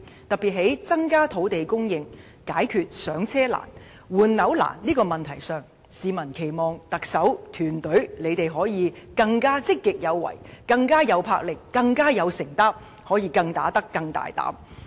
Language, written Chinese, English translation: Cantonese, 對於增加土地供應以解決"上車"難、換樓難的問題上，他們期望特首及其團隊可以更積極有為、更有魄力、更有承擔，可以更"打得"、更大膽。, On increasing land supply to resolve the difficulties in acquiring and replacing properties members of the public hope that the Chief Executive and her team would adopt a more proactive approach be more bold and resolute in action and with greater commitment